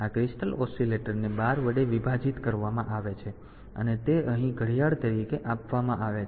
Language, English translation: Gujarati, So, this this crystal oscillator is divided by 12 and that is fed as clock here